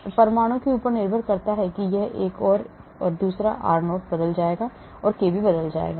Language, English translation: Hindi, So depending upon the type of atom this one and this one, the r0 will change, kb will change